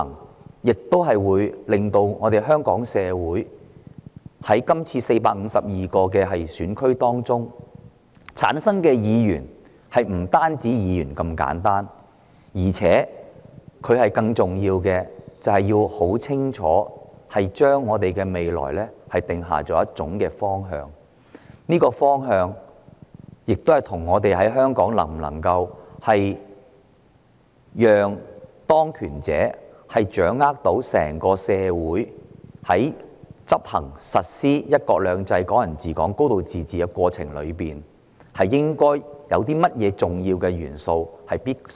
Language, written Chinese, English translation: Cantonese, 大家都很清楚，這次在452個選區中產生的並非只是普通區議員，他們將要為我們的未來定下清晰方向，包括會否讓當權者掌握整個香港社會，以及在實施"一國兩制"、"港人治港"及"高度自治"的過程中須涵蓋哪些重要元素。, As we all know DC members to be returned in the 452 constituencies are not just ordinary DC members . Instead they are the ones to decide our future directions including whether the authorities should be allowed to get hold of all powers in Hong Kong and which important elements should be included in realizing one country two systems Hong Kong people ruling Hong Kong and a high degree of autonomy